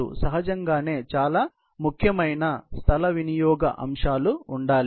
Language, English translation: Telugu, Obviously, there has to be very important space utilization aspects